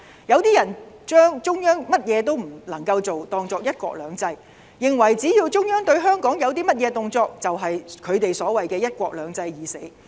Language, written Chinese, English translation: Cantonese, 有些人把中央甚麼都不能夠做當作"一國兩制"，認為只要中央對香港有甚麼動作，便是他們所謂的"一國兩制"已死。, Some people even think that one country two systems means that the Central Government is not allowed to do anything . They are of the view that any action taken by the Central Government towards Hong Kong means the death of the principle of one country two systems